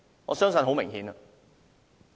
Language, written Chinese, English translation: Cantonese, 我相信答案很明顯。, I believe the answer is obvious